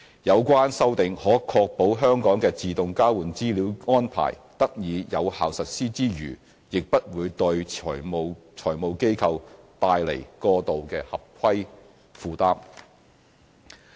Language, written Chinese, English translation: Cantonese, 有關修訂可確保香港的自動交換資料安排得以有效實施之餘，亦不會對財務機構帶來過度的合規負擔。, The relevant amendments can ensure the effective implementation of AEOI in Hong Kong without placing an undue compliance burden on financial institutions FIs